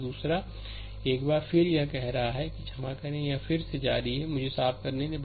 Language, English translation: Hindi, Second one again it is again your say ah sorry, it is again your just hold on, let me clean it